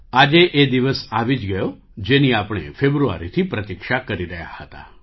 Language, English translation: Gujarati, The day all of us had been waiting for since February has finally arrived